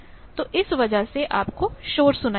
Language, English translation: Hindi, So, you are getting noise